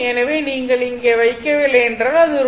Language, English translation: Tamil, So, so if you do not put here, does not matter